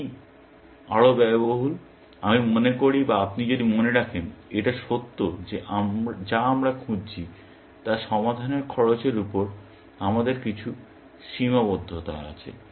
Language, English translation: Bengali, E; the more expensive one, I think, or if you keep in mind, the fact, that we have some bound on the cost of the solution, that we are looking for